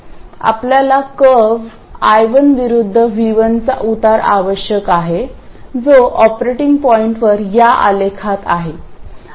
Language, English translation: Marathi, We need the slope of the curve I1 versus V1 which is in this graph at the operating point